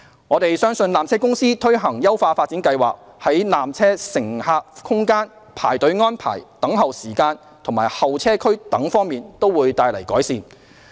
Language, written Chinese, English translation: Cantonese, 我們相信纜車公司推行優化發展計劃，在纜車乘客空間、排隊安排、等候時間及候車區等方面都可帶來改善。, We believe that PTCs implementation of the upgrading plan will bring about improvements to the peak tram passenger space queuing arrangements waiting time and waiting areas